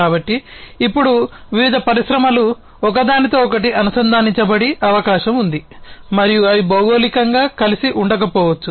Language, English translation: Telugu, So, now, it is possible that different industries would be connected to each other and they may not be geographically co located